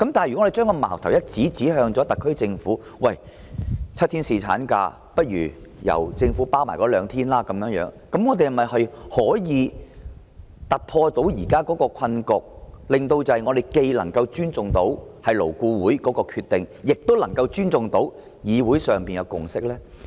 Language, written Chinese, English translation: Cantonese, 如果我們將矛頭指向特區政府，建議由政府承擔7天侍產假中額外兩天假期的開支，這樣是否可以突破現時的困局，令我們既能尊重勞顧會的決定，亦能尊重議會的共識？, However if we target at the SAR Government and propose that it should bear the expenditures incurred from the two extra of paternity leave out of the seven days leave will the current deadlock be broken so that both LABs decision and the consensus of the Legislative Council will be respected?